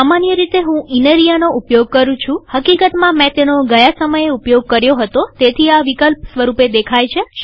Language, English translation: Gujarati, I generally use inria, in fact, the last time I used this, so it gives this as an option